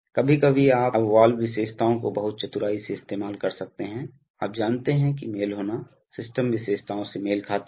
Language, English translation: Hindi, Sometimes, you now valve characteristics can be very cleverly used to, you know match the, match the system characteristics